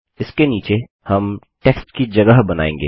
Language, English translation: Hindi, Underneath this we will create a text area